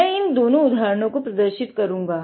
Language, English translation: Hindi, I will be demonstrating both of these examples